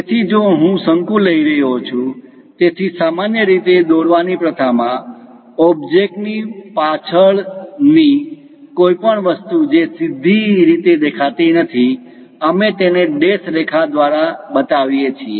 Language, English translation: Gujarati, So, if I am taking a cone, so, usually in drawing practice, anything behind the object which is not straightforwardly visible, we show it by dashed lines